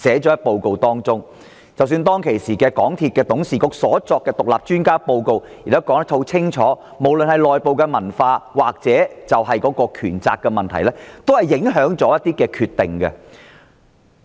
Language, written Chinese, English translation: Cantonese, 即使當時港鐵公司董事局的獨立專家報告，亦指出了無論是公司內部文化或權責問題，均影響了一些決定。, And even the report of the independent expert panel appointed by MTRCLs Board has also made the point that some of MTRCLs decisions were affected by either the culture within the company or the problem of unclear demarcation of duties and powers